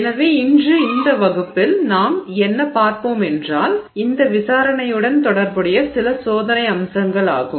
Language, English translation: Tamil, So, today what we will look at in this class what we will look at is some experimental aspects associated with this investigation